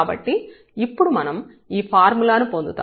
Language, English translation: Telugu, So, we will derive this formula now